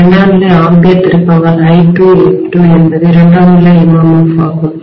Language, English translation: Tamil, The secondary ampere turn was I2 multiplied by N2 this is what is the secondary MMF, right